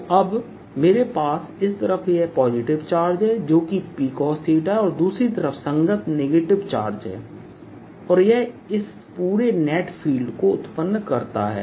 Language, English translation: Hindi, so now i have this positive charge on this side, which is p cos theta, and corresponding negative charge on the other side, and this gives rise to a field inside this all net